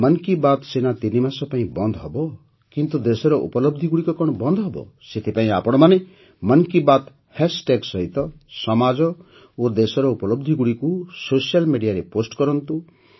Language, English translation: Odia, Even though 'Mann Ki Baat' is undergoing a break for three months, the achievements of the country will not stop even for a while, therefore, keep posting the achievements of the society and the country on social media with the hashtag 'Mann Ki Baat'